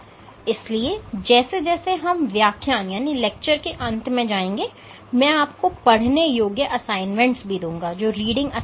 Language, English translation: Hindi, So, as we go forward at the end of every lecture I will give you reading assignments